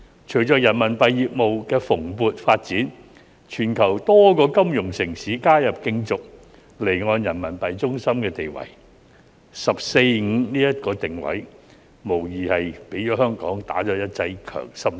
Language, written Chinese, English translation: Cantonese, 隨着人民幣業務的蓬勃發展，全球多個金融城市加入競逐離岸人民幣中心的地位，"十四五"這個定位無疑為香港注入一劑強心針。, Following the vibrant development of the RMB business various financial cities around the world have joined in to compete for the position of offshore RMB centre . Such positioning by the 14th Five - Year Plan has undoubtedly given Hong Kong a shot in the arm